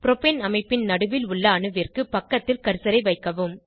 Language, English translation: Tamil, Place the cursor near the central atom of Propane structure